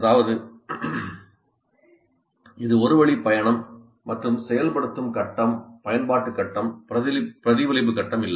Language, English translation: Tamil, That means it is a one way of flow and there is no activation phase, there is no application phase, there is no reflection phase